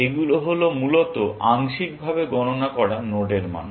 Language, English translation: Bengali, These are the values of partially computed node, essentially